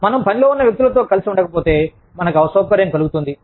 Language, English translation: Telugu, If we do not get along, with people at work, we feel uncomfortable